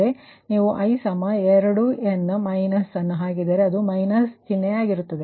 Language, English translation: Kannada, therefore, if you put i is equal to two, n minus it is, it is minus sign, minus sign is there right